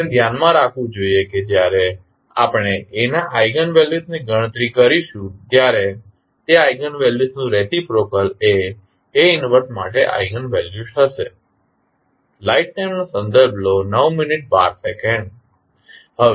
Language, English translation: Gujarati, We have to keep in mind that when we calculate the eigenvalues of A the reciprocal of those eigenvalues will be the eigenvalues for A inverse